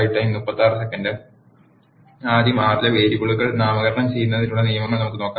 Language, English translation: Malayalam, Let us see the rules for naming the variables in R first